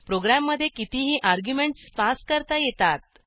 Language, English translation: Marathi, * Any number of arguments can be passed to a program